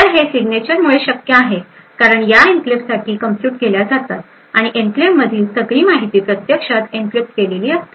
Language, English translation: Marathi, So, this is made a possible because of the signature’s which can be computed up for the enclave and also the fact the all the information in an enclave is actually encrypted